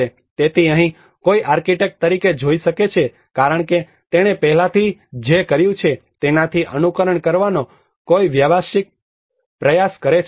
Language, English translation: Gujarati, So here one can see as an architect as a professional try to take an imitations from what already he has done